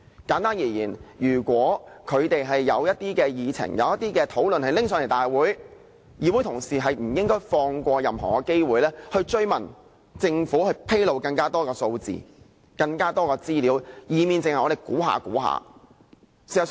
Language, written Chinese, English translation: Cantonese, 簡單而言，如果政府有議案提交立法會會議，議會同事是不應放過任何的追問機會，要求政府披露更多的數字和資料，否則我們只能推測。, Hence we should not miss any opportunities to pursue the matter whenever the Government submits relevant motions to the Legislative Council . Otherwise we can only keep guessing